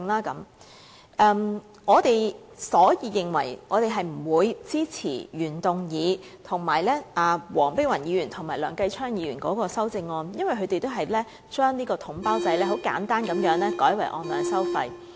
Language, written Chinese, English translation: Cantonese, 因此，我們不會支持原動議，以及黃碧雲議員和梁繼昌議員的修正案，因為它們都旨在把統包制簡單地改為按量收費。, Hence we will not support the original motion and the amendments moved by Dr Helena WONG and Mr Kenneth LEUNG as they all aim at simply changing the package deal system into payment on the basis of actual supply quantity